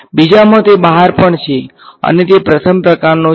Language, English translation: Gujarati, In the second one it is also outside and it is a first kind